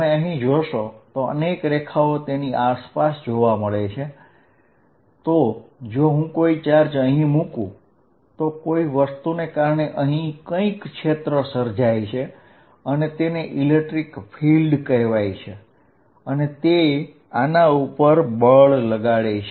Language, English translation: Gujarati, It creates a lot of lines around it, so that if I put a charge somewhere, because of this whatever I have created which I am going to call the electric field, a force is applied on this